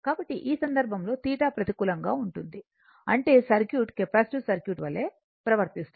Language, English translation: Telugu, So, this time theta is negative that means what you call that circuit behavior is like a capacitive circuit